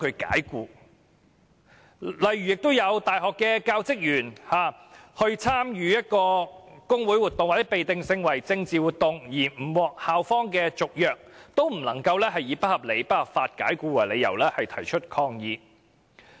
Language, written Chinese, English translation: Cantonese, 此外，亦有大學教職員因為參與工會活動或被定性為政治活動的活動而不獲校方續約，但卻不能以不合理及不合法解僱為由提出申索。, Besides some university teaching staff though failing to have their contracts renewed for joining trade union activities or activities considered as political activities cannot claim for unreasonable and unlawful dismissal